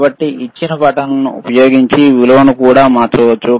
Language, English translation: Telugu, So, we can also change the value using the buttons given